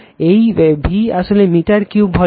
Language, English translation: Bengali, This V is actually meter cube volume right